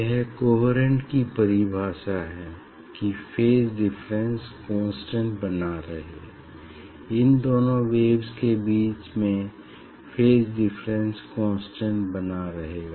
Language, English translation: Hindi, that is the definition of coherent the phase difference remains constant; its phase difference remains constant between these two waves